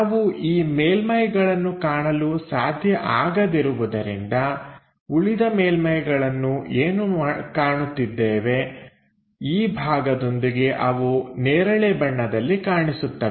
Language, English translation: Kannada, Because we cannot see these surfaces, the rest of the surface what we can see is this purple one along with this part